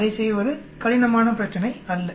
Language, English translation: Tamil, It is not a difficult problem to do